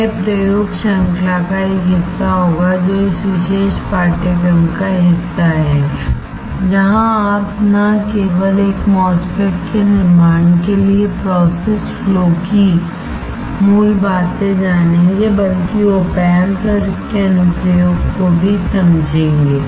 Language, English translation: Hindi, That will be part of the experiment series which is part of this particular course, where you not only you will learn the basics of the process flow for fabricating a MOSFET, but also understand op amps and its application